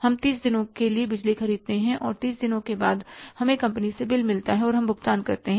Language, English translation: Hindi, We buy the electricity for 30 days and after 30 days we get the bill from the company and we make the payment